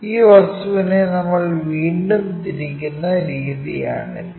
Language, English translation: Malayalam, This is the way we re rotate that object